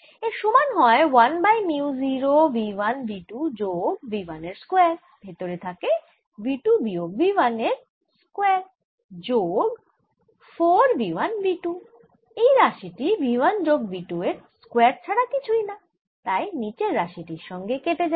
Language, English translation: Bengali, this is equal to one over mu zero v one v two plus v one whole square and inside i get v two minus v one whole square plus four v one v two